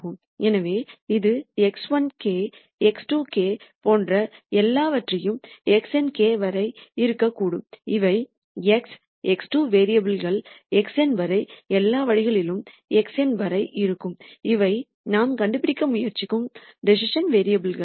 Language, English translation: Tamil, So, this could be something like x 1 k, x 2 k all the way up to x n k and these are the current values for variables x 1, x 2 all the way up to x n which are the decision variables that we are trying to find